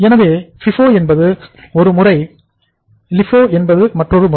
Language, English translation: Tamil, So FIFO is the one method, LIFO is another method